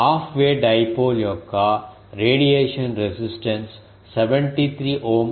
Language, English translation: Telugu, Radiation resistance of a half way of dipole is 73 ohm